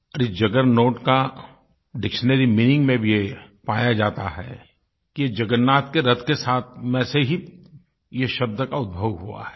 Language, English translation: Hindi, In the dictionary, the etymology of the word 'juggernaut' traces its roots to the chariot of Lord Jagannath